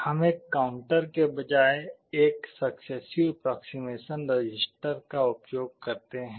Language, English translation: Hindi, We use something called a successive approximation register instead of a counter